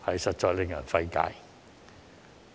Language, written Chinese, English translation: Cantonese, 實在令人費解。, It is really beyond anyones comprehension